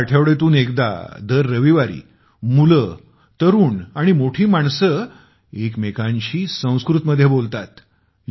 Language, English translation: Marathi, Here, once a week, every Sunday, children, youth and elders talk to each other in Sanskrit